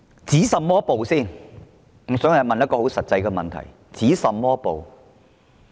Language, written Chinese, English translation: Cantonese, 首先要提出的一個很實際問題是，要止甚麼暴呢？, I would first of all like to raise a very practical question What kind of violence we have to stop?